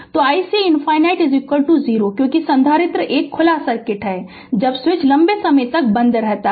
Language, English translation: Hindi, So, i c infinity is is equal to 0, because capacitor will be an open circuit, when switch is closed for long time